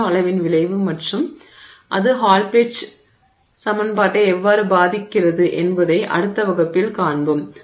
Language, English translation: Tamil, And this is something that we will see in our next class the effect of the nanoscale and how that impacts the Hall Petch equation